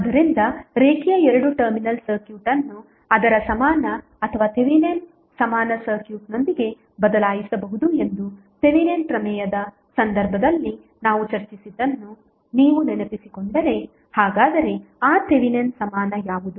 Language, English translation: Kannada, So, if you recollect what we discussed in case of Thevenin's theorem that the linear two terminal circuit can be replaced with it is equivalent or Thevenin equivalent circuit